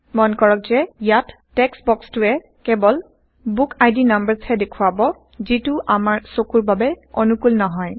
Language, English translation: Assamese, Notice that the text box here will only display BookId numbers which are not friendly on our eyes